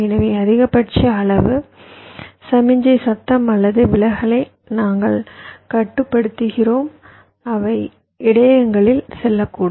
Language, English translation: Tamil, so we are controlling the maximum amount of signal, noise or distortion that might go in